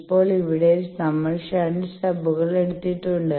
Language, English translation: Malayalam, Now, here we have taken shunt stubs